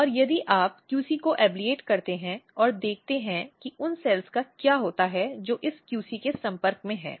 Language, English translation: Hindi, And if you ablate the QC and look what happens to the cells which are in contact with this QC